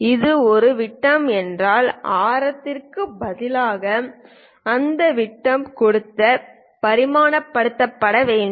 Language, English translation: Tamil, If it is a circle, it should be dimensioned by giving its diameter instead of radius